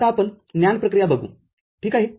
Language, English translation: Marathi, Now, we look at NAND operation ok